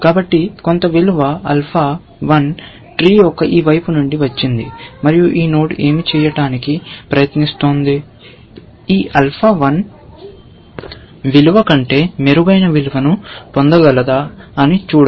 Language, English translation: Telugu, So, we have got some value from here; alpha 1; from this side of the tree and essentially, what this node is trying to do is to see, if it can get a better value, better than this alpha 1 value